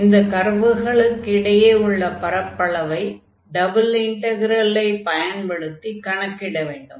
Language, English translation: Tamil, So, the area here enclosed by these two curves, we want to find using the double integral